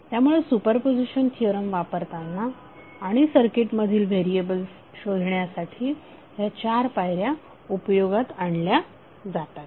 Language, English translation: Marathi, So these 4 steps are utilize to apply the super position theorem and finding out the circuit variables